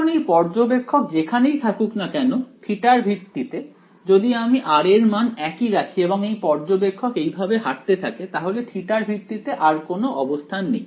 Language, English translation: Bengali, Now wherever this r observer is with respect to theta; if I keep the same value of r and this observer walks around like this, there is no orientation with respect to theta anymore right